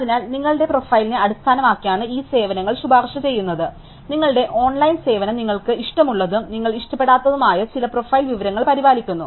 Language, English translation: Malayalam, So, these services are recommended to you based on your profile, your online service maintains some profile information about what you like and what you do not like